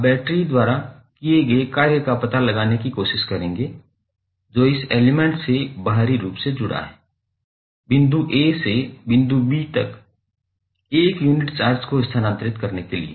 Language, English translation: Hindi, You will try to find out the work done by battery which is connected to external to this element, right, to move 1 unit charge from point a to point b so how you will express in mathematical terms